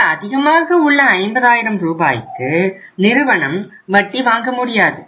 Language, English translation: Tamil, On this extra 50,000 Rs firm will not get any interest right